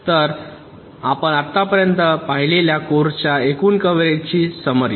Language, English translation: Marathi, so we summarize the total coverage of the course that you have seen so far